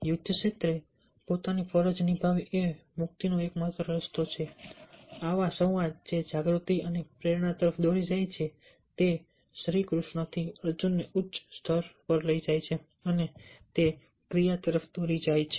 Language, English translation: Gujarati, in either case, you will only beginner performing ones duty in the war field is the only way to salvation, such dialogue, leading to awareness and inspiration, from sri krishna, elevated arjun to vihar plane, and it lead to action